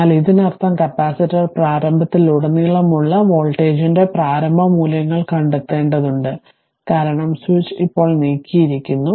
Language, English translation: Malayalam, But, that means you have to find out the initial values of the your, what you call voltage across the capacitor initial, because switch is moved now